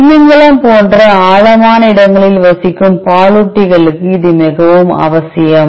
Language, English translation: Tamil, It is very necessary for mammals especially deep driving mammals like whale